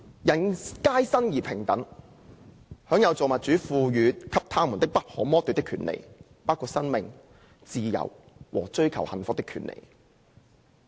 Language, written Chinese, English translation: Cantonese, 人皆生而平等，享有造物主賦予他們的不可剝奪的權利，包括生命、自由和追求幸福的權利。, All men are born equal that they are endowed by their Creator with certain unalienable rights among these are life liberty and the pursuit of happiness